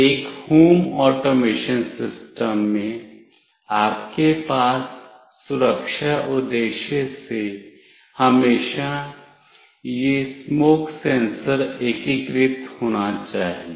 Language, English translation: Hindi, In an home automation system, you can always have for security purpose, this smoke sensor integrated